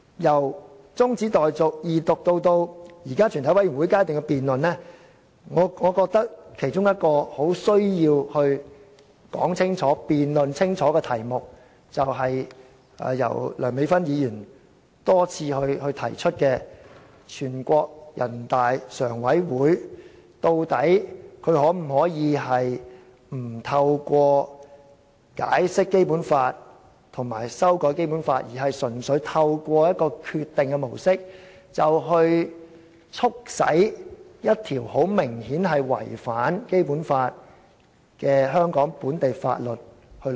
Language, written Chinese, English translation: Cantonese, 由中止待續議案、二讀至現時的全委會審議階段的辯論，我認為其中一個很需要清楚說明的題目，是由梁美芬議員多次提出的，全國人民代表大會常務委員會究竟可否不透過解釋或修改《基本法》，純粹透過決定這模式，便可促使落實一項明顯違反《基本法》的香港本地法例？, From the adjournment motion Second Reading to the present debate at the Committee stage I think one of the subjects which warrant a clear explanation is the following question which has been repeatedly raised by Dr Priscilla LEUNG Can the Standing Committee of the National Peoples Congress NPCSC purely through the decision model bring about the implementation of a Hong Kong local law which obviously contravenes the Basic Law?